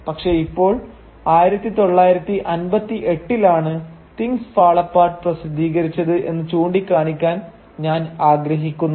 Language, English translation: Malayalam, But now I would just like to point out that Things Fall Apart was published in 1958